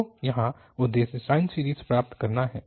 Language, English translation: Hindi, So here the objective is to have sine series